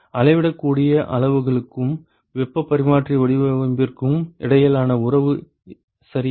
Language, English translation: Tamil, Relationship between measurable quantities and the heat exchanger design ok